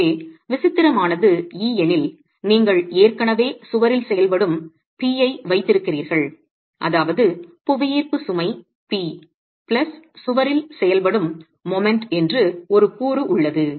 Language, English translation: Tamil, So, if the eccentricity is E, you already have P into E acting in addition to the, P into E acting on the wall, which would mean there is a component that's just the gravity load P plus a moment acting on the wall